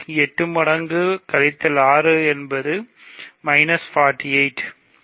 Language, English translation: Tamil, So, 8 times minus 6 is minus 48